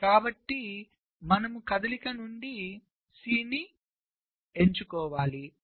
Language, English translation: Telugu, so you select c from the move